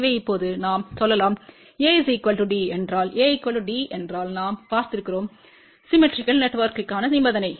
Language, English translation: Tamil, So, we can now, say if A is equal to D, if A is equal to D and we have seen that is the condition for symmetrical network